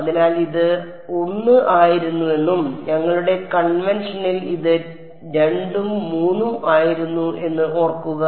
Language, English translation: Malayalam, So, remember this was 1 and in our convention this was 2 and 3 ok